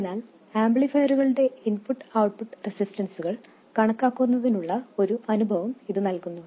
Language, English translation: Malayalam, So this also kind of gives us an experience of calculating input and output resistances of amplifiers